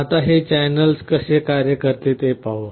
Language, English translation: Marathi, Now, let us see how this channels work